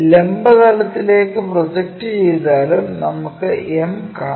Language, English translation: Malayalam, So, if we are projecting on the vertical plane also m we will see